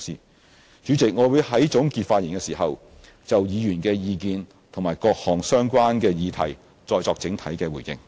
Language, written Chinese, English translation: Cantonese, 代理主席，我會在總結發言時就議員的意見和各項相關議題再作整體回應。, Deputy President I will give an overall response to Members views and various related issues in my closing remarks